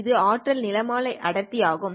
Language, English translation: Tamil, This is the power spectral density